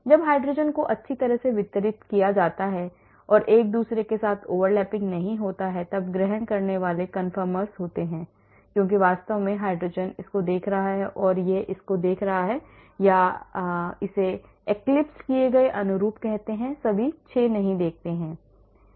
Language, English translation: Hindi, whereas when the hydrogens are well distributed and not over lapping with each other staggered conformers this is eclipsed conformers because exactly hydrogen is looking at this looking at this is this looking at this or that we call it eclipsed conformers we do not see all the 6